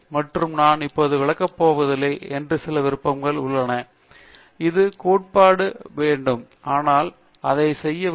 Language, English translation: Tamil, And there are a few other options which I am not going to explain now, it requires a bit of theory, but letÕs do this